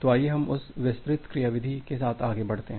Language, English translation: Hindi, So, let us proceed with the detailed mechanism of that one